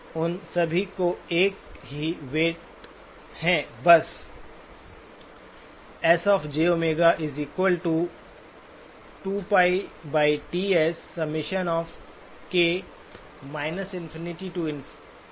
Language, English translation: Hindi, All of them have got the same weight